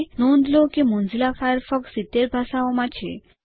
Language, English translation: Gujarati, Notice that Mozilla offers Firefox in over 70 languages